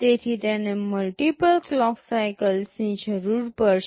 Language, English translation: Gujarati, So, it will need multiple clock cycles